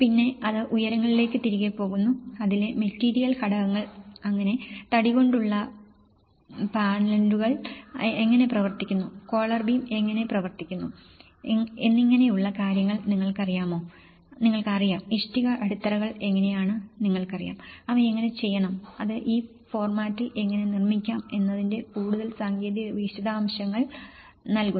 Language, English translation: Malayalam, And then, it goes back to the heights and you know, the material components in it so, how the wooden purlins works, how the collar beam works you know so, how the brick foundations you know, how they have to so, it gives the more technical details of how one can construct in this format